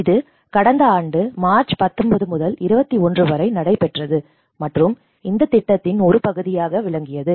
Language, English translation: Tamil, And this was similar time last year 19 to 21st of March whereas also part of this program